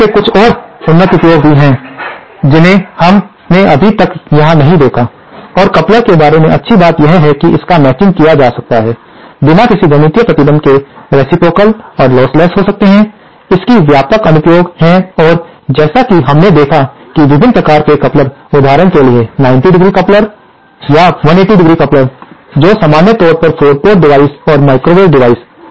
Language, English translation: Hindi, There are some more advanced uses of coupler also which we have notdiscussed and the good thing about coupler is that it can be matched, be reciprocal and lossless without any mathematical restrictions, it has wide range applications and as we saw that there are various types of couplers, for example 90¡ coupler, or the 180¡ coupler, so that is all about 4 port devices and microwave devices in general